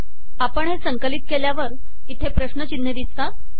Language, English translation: Marathi, On compiling it, we see question marks here